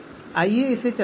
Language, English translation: Hindi, So let us run this